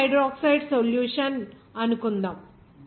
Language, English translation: Telugu, Suppose sodium hydroxide solution